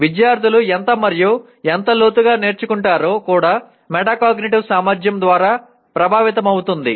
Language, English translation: Telugu, How much and how deeply the students learn also is affected by the metacognitive ability